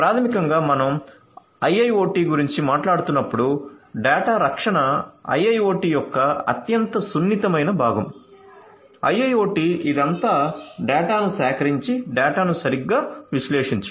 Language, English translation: Telugu, So, data protection is the most sensitive part of IIoT and so basically you know you have to because when we are talking about IIoT; IIoT it’s all about collecting data and analyzing the data right